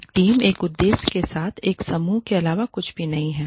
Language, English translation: Hindi, A team is nothing but a group with a purpose